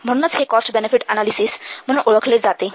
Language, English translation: Marathi, So, that's why this is known as cost benefit analysis